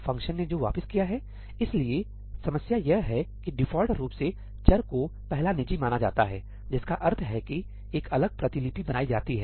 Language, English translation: Hindi, Returned by the function; so, the problem is that by default, variables are treated as first private, which means a separate copy is created